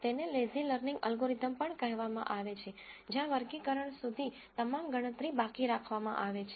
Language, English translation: Gujarati, It is also called a lazy learning algorithm, where all the computation is deferred until classification